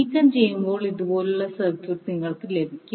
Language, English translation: Malayalam, When, you remove you get the circuit like this